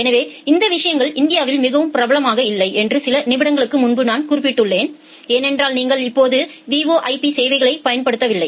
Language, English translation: Tamil, So, as I have mentioned just a couple of minutes back that these things are not very popular in India, because you are not using VoIP services right now